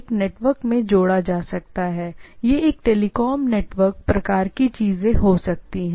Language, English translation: Hindi, It can be added a network, it can be a telecom network and type of things